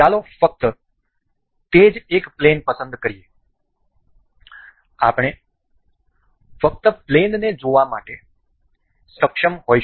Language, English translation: Gujarati, Let us just select a one plane it is, we will just enable to be see the plane